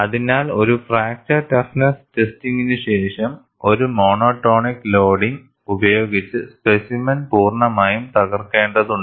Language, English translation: Malayalam, So, after a fracture toughness testing, the specimen has to be broken completely, by a monotonic loading